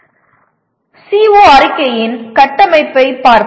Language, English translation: Tamil, Let us take a look at structure of a CO statement